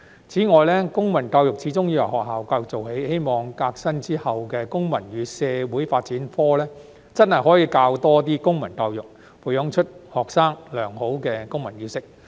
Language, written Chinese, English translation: Cantonese, 此外，公民教育始終要由學校教育做起，希望革新之後的公民與社會發展科真的可以多教一些公民教育，培養出學生良好的公民意識。, Moreover civic education has to start from school education after all . It is hoped that more civic education can be taught through the revamped subject of Citizenship and Social Development to foster students civic - mindedness in a positive way